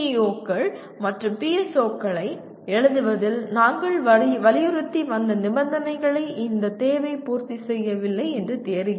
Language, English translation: Tamil, It looks like this requirement is, does not fulfill the conditions that we have been emphasizing in writing PEOs and PSOs